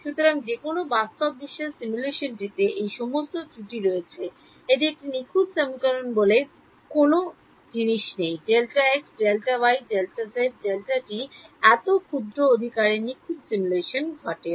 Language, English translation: Bengali, So, any real world simulation has all of these errors in it there is no such thing as a perfect simulation; perfect simulation happens when delta x delta y delta z delta t is all so tiny right